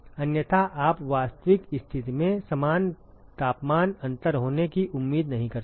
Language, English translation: Hindi, Otherwise you cannot expect the same temperature difference to occur in a real situation